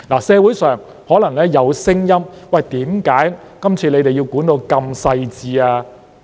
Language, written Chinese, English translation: Cantonese, 社會上可能有聲音，為何這次需要規管得如此細緻？, There may be voices in society wondering why such detailed regulations are needed this time around